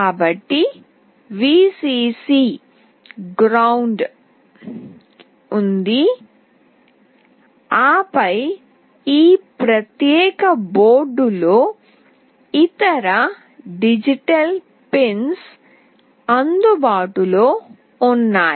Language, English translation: Telugu, So, there is Vcc, ground, and then there are other digital pins available in this particular board